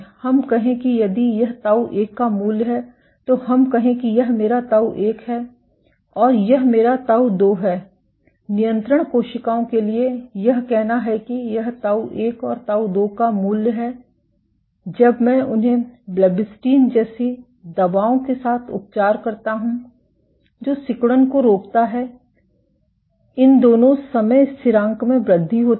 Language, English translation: Hindi, Let us say if this is the value of tau 1, let say this is my tau 1 and this is my tau 2; for control cells let say this is my value of tau 1 and tau 2 when, I treat them with drugs like blebbistatin which inhibits contractility both these time constants tend to increase